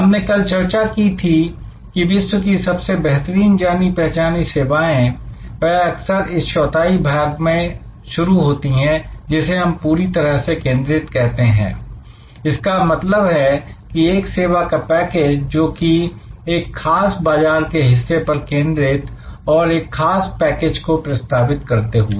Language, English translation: Hindi, We discussed yesterday, that most excellent globally recognised services often start in this quadrant, which we call fully focused; that means a service package, which is focused on a particular market segment with a particular package of offering